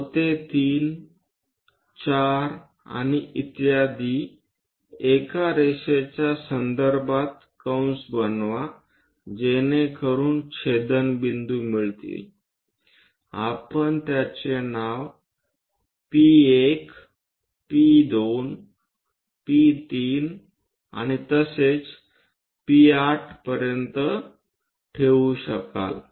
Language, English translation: Marathi, O to 3, 4 and so on make arcs on respect to a lines so that intersection points we can name it like P1, P2, P3 and so on to P8